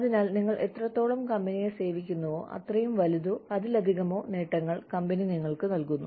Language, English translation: Malayalam, So, that the longer, you serve the company, the larger the benefits, or the more the benefits, that the company gives you